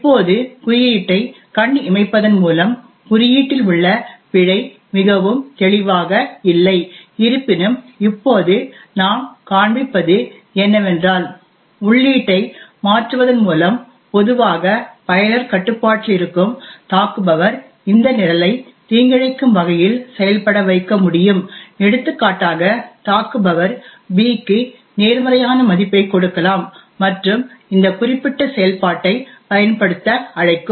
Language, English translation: Tamil, Now at just by eyeballing the code the bug in the code is not very obvious however what we will now demonstrate now is that by changing the input which is which would typically be in the user control the attacker would be able to make this program behave maliciously for example the attacker could give a positive value of b and make this particular function get invoked